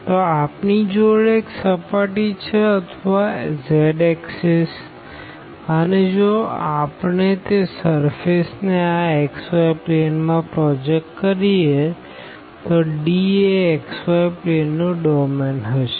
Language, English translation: Gujarati, So, we have the some surface given or the z axis and if we project that surface into this xy plane then D will be exactly that domain in the xy plane